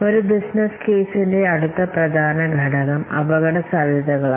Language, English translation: Malayalam, Next important component of a business case is the risk